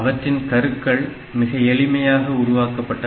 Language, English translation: Tamil, So, the cores are made very simple